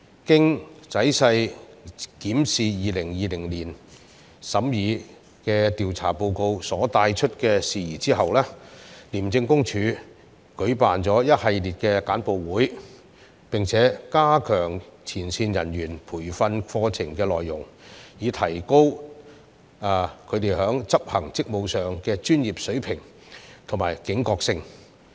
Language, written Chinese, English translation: Cantonese, 經仔細檢視2020年審議的調查報告所帶出的事宜，廉政公署舉辦了一系列簡報會，並加強前線人員培訓課程的內容，以提高他們執行職務時的專業水平和警覺性。, After a careful examination of the issues identified in the investigation reports considered during 2020 ICAC had organized a number of briefing sessions and strengthened the training programmes for frontline officers to enhance their professionalism and vigilance in delivering their duties